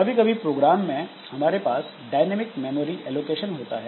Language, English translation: Hindi, And we in the program so we can have some dynamic memory allocation